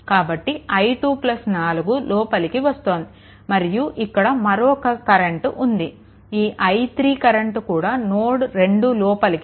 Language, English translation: Telugu, So, i 2 plus 4 this 2 are entering right now another one is there i 3 also entering this current i 3 is also entering I three